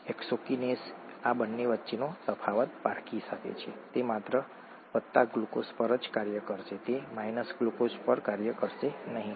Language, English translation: Gujarati, The hexokinase can distinguish between these two, it will act only on glucose it will not act on glucose